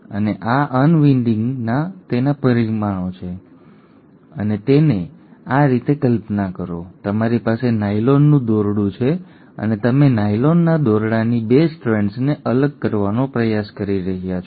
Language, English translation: Gujarati, And this unwinding has its consequences and imagine it like this, you have a nylon rope and you are trying to pull apart the 2 strands of a nylon rope